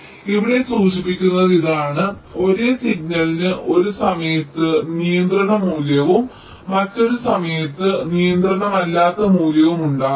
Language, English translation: Malayalam, so this is what is mentioned here: the same signal can have a controlling value at one time and non controlling value at another time